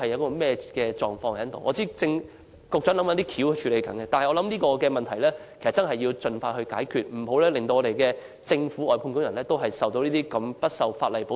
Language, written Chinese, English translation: Cantonese, 我知道局長正在研究方法加以處理，但我認為這個問題必須盡快解決，以免連政府外判工人也得不到法律保障。, I know the Secretary is looking into ways of addressing the issue but I think this problem must be resolved as soon as possible lest even the Governments outsourced workers cannot be protected by the law